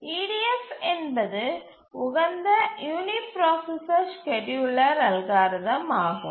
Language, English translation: Tamil, EDF is the optimal uniprocessor scheduling algorithm